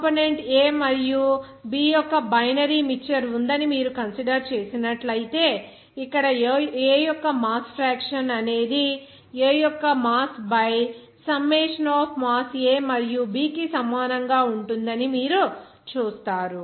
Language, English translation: Telugu, If you consider there is a binary mixture of component A and B, you see that here this mass fraction of component A will be equal to mass of A by summation of mass of A and mass of B